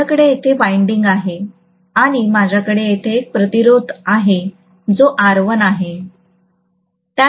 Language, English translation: Marathi, I have here is the winding and I have a resistance here which is R1, right